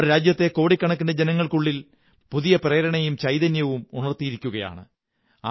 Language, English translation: Malayalam, They have evoked a new inspiration and a new awakening among millions of our countrymen